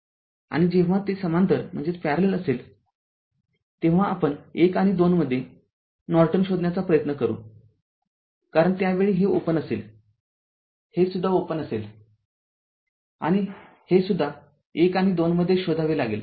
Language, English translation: Marathi, And ah, and when it will be in parallel that, when we will try to find out in between one and two are Norton, because at that time this is open, this is also open and this is also we have to find out between 1 and 2